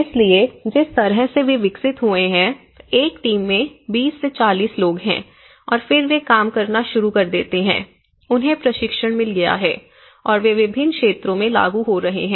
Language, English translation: Hindi, So, the way they have developed is basically, there is 20 to 40 people in a team and then they start working on, they have been got training and they have been implementing in different sites